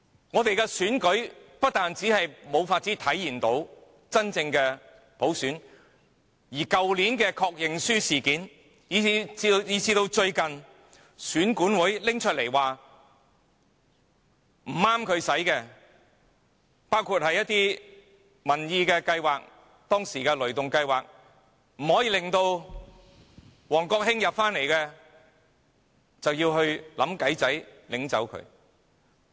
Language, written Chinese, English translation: Cantonese, 我們的選舉不單無法體現真正的普選，去年的確認書事件以至最近選舉管理委員會表示不合宜的一些民意計劃，即當時令王國興不能重返議會的"雷動計劃"，他們更會想辦法禁止。, Genuine universal suffrage cannot be realized in the elections in Hong Kong . Worse still from the introduction of the confirmation requirement last year to the recent statement of the Electoral Affairs Commission on the inappropriateness of a certain public opinion programme that is the Thunder Go campaign which had prevented WONG Kwok - hing from returning to the legislature we see that the authorities are trying to ban it